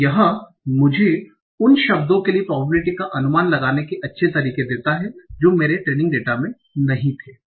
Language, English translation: Hindi, So this gives me a nice method of estimating the probability for the words that did not occur in my Turing data